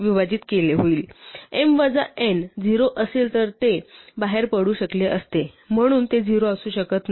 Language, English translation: Marathi, If m minus n is 0 then it could have exited, so it cannot be 0